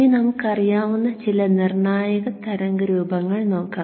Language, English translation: Malayalam, Now let us look at some critical waveforms